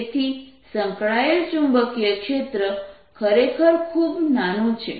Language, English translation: Gujarati, so associated magnetic field is really very, very small